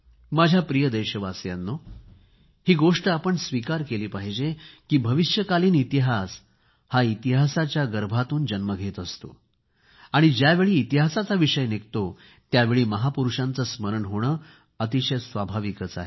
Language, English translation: Marathi, My dear countrymen, we will have to accept the fact that history begets history and when there is a reference to history, it is but natural to recall our great men